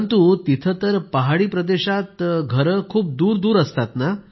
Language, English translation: Marathi, But there in the hills, houses too are situated rather distantly